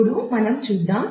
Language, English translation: Telugu, Now, let us